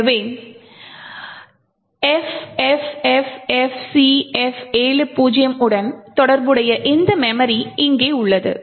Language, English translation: Tamil, So, corresponding to FFFFCF70 is this memory over here